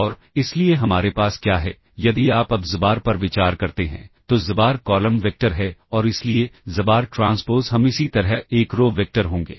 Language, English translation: Hindi, And, so what we have is, if you consider xbar now, xbar is the column vector and therefore, xbar transpose we will similarly be a row vector